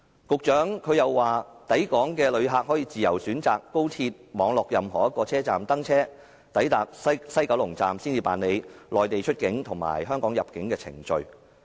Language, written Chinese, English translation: Cantonese, 局長又說抵港的旅客可以自由選擇高鐵網絡任何一個車站登車，抵達西九龍站才辦理內地出境和香港入境的程序。, The Secretary also said that inbound passengers may choose to get on at any station and complete the Mainlands departure procedure and Hong Kongs arrival procedure at the West Kowloon Station